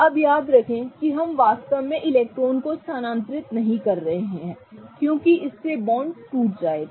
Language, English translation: Hindi, Now, remember we are not actually transferring the electrons because that would result in the breaking of the bonds